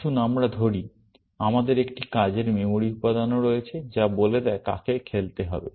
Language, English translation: Bengali, Let us say, we also have a working memory element, which says, who has to play